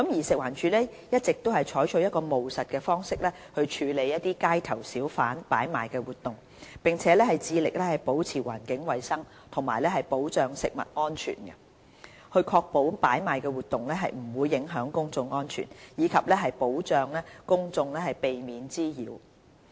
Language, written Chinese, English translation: Cantonese, 食環署一直採取務實的方式處理街頭小販擺賣活動，並致力保持環境衞生和保障食物安全、確保擺賣活動不會影響公眾安全，以及保障公眾免受滋擾。, FEHD has been managing on - street hawking using a pragmatic approach with a view to maintaining environmental hygiene and food safety while safeguarding public safety and preventing nuisances arising from hawking activities